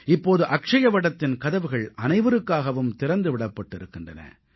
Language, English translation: Tamil, Now the entrance gate of Akshayavat have been opened for everyone